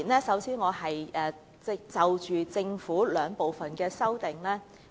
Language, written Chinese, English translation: Cantonese, 首先，我要就政府的兩組修正案發言。, We need to speak . First I wish to speak on the two groups of amendments proposed by the Government